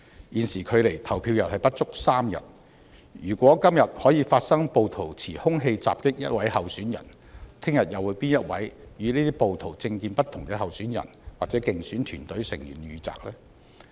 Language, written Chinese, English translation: Cantonese, 現時距離投票不足3天，如果今天可以發生暴徒持兇器襲擊候選人，明天會否有與暴徒政見不同的候選人或競選團隊成員遇襲？, With no more than three days to go the Election will be held . If armed rioters assault candidates today will they attack candidates or electioneering team members holding different political views tomorrow?